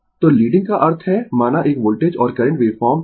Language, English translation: Hindi, So, leading means you have a suppose voltage and current waveform